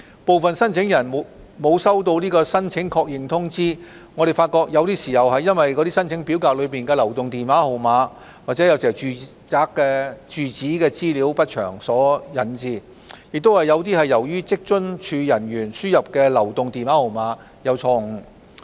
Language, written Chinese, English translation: Cantonese, 部分申請人沒有收到申請確認通知，我們發覺有些是由於申請表格內的流動電話號碼或住址資料不詳所致，也有些是由於職津處人員輸入的流動電話號碼有誤。, For those applicants who have not received any acknowledgement we found that some may have been caused by the provision of incomplete mobile phone numbers or residential addresses in the application forms and some may be attributable to inaccurate mobile phone numbers entered by WFAOs staff